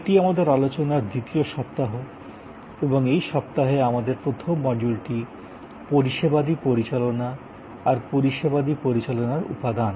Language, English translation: Bengali, This is our week number 2 and our first module in this week is about Services Management, the Elements of Services Management